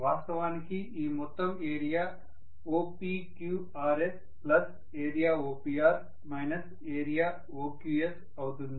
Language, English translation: Telugu, This entire area is actually area OPQRS plus area OPR minus area OQS